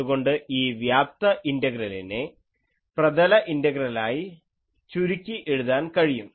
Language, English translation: Malayalam, Then, this volume integrals will reduce to surface integrals